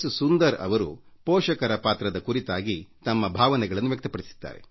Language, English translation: Kannada, Sunder Ji has expressed his feelings on the role of parents